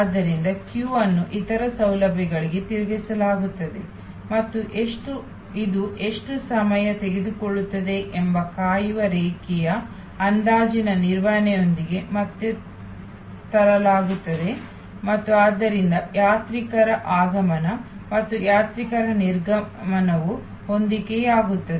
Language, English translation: Kannada, So, the queue is diverted to various other facilities and again brought back with this management of the waiting line estimation of how long it will take and so arrival of pilgrims and departure of pilgrims are matched